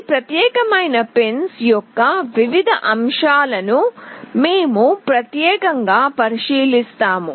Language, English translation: Telugu, We will be specifically looking into the various aspects of these particular pins